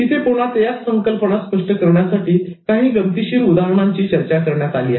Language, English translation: Marathi, Again here, very interesting examples have been discussed to make these concepts clear